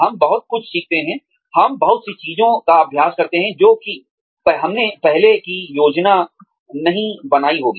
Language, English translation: Hindi, We learn a lot of, we practice a lot of things, that we may not have planned, for earlier